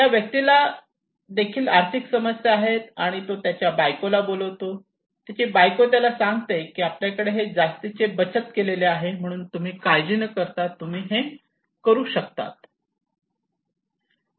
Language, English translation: Marathi, This person also have monetary problem, and he called his wife, his wife said that we have some savings extra savings so do not worry you can do it